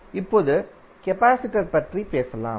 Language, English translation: Tamil, Now, let us talk about the capacitor